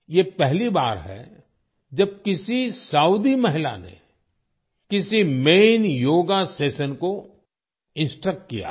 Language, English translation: Hindi, This is the first time a Saudi woman has instructed a main yoga session